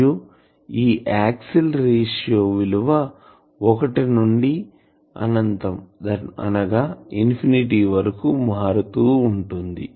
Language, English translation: Telugu, And generally this axial ratio will vary from 1 to infinity